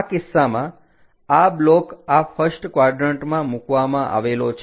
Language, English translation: Gujarati, In this case this block is placed in this first quadrant